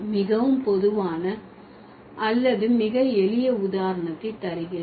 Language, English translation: Tamil, So, there are certain, let me give a very common or very simple example